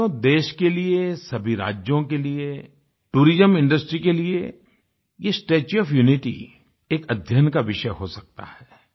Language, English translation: Hindi, Friends, for our nation and the constituent states, as well as for the tourism industry, this 'Statue of Unity' can be a subject of research